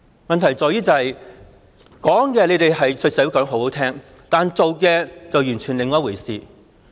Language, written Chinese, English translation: Cantonese, 問題在於政府對社會說得很動聽，但做的卻完全是另一回事。, The problem lies in the fact that whilst the Government tells society something pleasant to the ear what they do is quite another matter